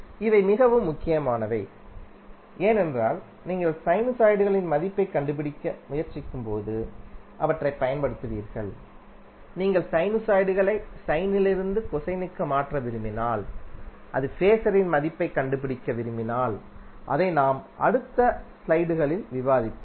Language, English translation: Tamil, And these are very important because you will keep on using them when you try to find out the value of sinusoid like if you want to change sinusoid from sine to cosine or if you want to find out the value of phases which we will discuss in next few slides